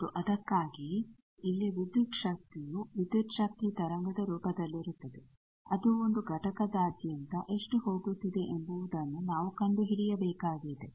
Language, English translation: Kannada, And obvious that is why here voltage will be in the form of voltage wave, we will have to find out how much it is going across a component